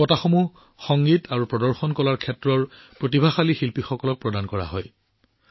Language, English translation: Assamese, These awards were given away to emerging, talented artists in the field of music and performing arts